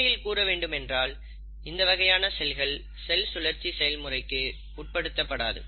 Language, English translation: Tamil, So, there are certain cells which will not undergo cell cycle